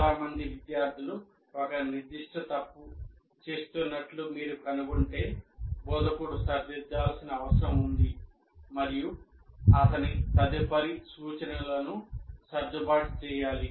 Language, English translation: Telugu, That means if you find many students are committing a particular mistake, that means there is something that instructor needs to correct, have to adjust his subsequent instruction